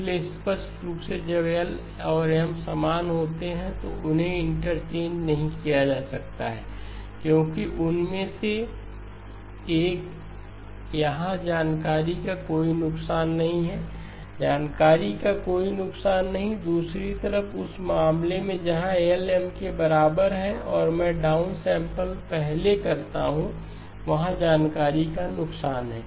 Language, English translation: Hindi, So clearly when L and M are same, they cannot be interchanged because one of them here there is no loss of information, no loss of information, on the other hand the case where L equal to M and I do the down sampling first, there is loss of information